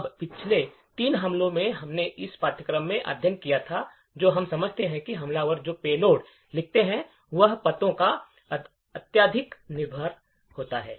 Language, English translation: Hindi, Now, from the last three attacks we have studied in this course what we do understand is that the payloads that the attacker writes, is highly dependent on the addresses